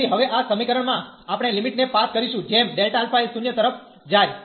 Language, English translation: Gujarati, So, in this equation now, we can pass the limit as delta alpha goes to 0